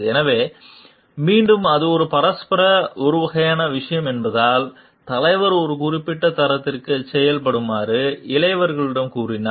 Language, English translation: Tamil, So, again because it is a reciprocating kind of thing then if the for if the leader is telling the junior to perform to a certain standard